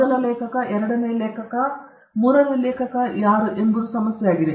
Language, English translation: Kannada, The whole issue of who is the first author, second author, and third author that is an issue